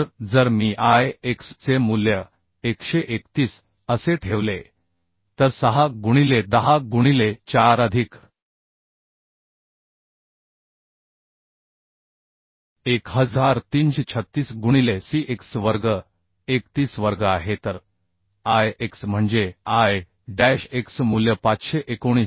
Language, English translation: Marathi, 6 into 10 to the power 4 plus 1336 into Cx square is 31 square So Ix means I dash x value is becoming 519